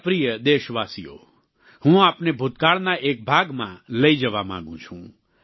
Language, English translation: Gujarati, My dear countrymen, I want to transport you to a period from our past